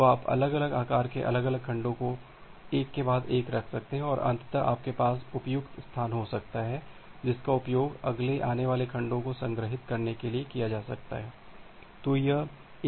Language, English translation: Hindi, So, you can put individual segments of different sizes one after another and ultimately you can have a unused space which can be used to store the next incoming segments